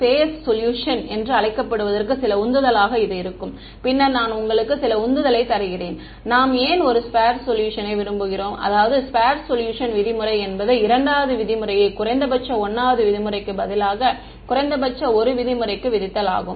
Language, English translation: Tamil, They may be some motivation to go for what is called as sparse solution, then I will give you a motivational why we would want a sparse solution and that is sparse solution comes by imposing a norm on the minimum 1 norm instead of 2 norm minimum 1 norm